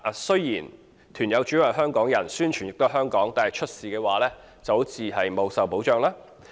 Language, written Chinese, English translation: Cantonese, 雖然團友主要是香港人，宣傳也是在香港，但如果出事，團友卻不受保障。, While participants of such tour groups are Hong Kong people and publicity is likewise conducted in Hong Kong they will not be protected in case of accidents